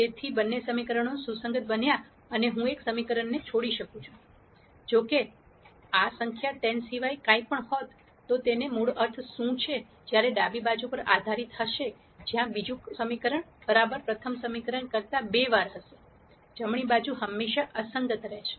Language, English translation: Gujarati, So, both the equations became consistent and I could drop one equation ; however, if this number was anything other than 10 then what it basically means is, that while the left hand side will be linearly dependent where the second equation will be twice the first equation the right hand side will always be inconsistent